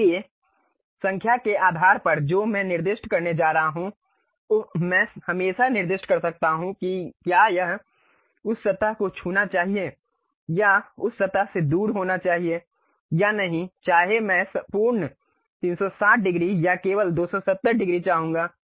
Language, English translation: Hindi, So, based on the number what I am going to specify uh I can always specify whether it should really touch that surface or should away from that surface also whether I would like to have complete 360 degrees or only 270 degrees